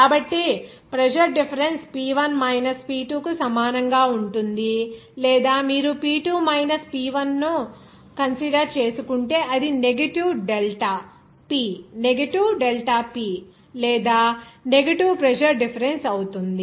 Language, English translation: Telugu, So, the pressure difference will be equal to P1 minus P2 or if you are considering that P2 minus P1, it will be as negative delta P or negative pressure difference